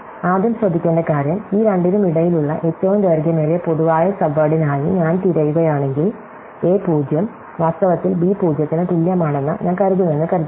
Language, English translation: Malayalam, So, the first thing to note is that if I am looking for this longest common subword between these two, supposing I find that a 0, is in fact equal to b 0